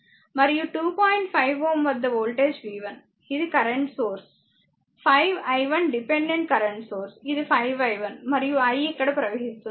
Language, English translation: Telugu, 5, this is the current source ah, 5 i 1 dependent current source, it is 5 i 1 and I was flowing here